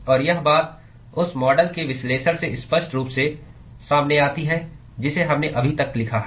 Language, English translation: Hindi, And that sort of clearly comes out from the analysis of the model that we have written so far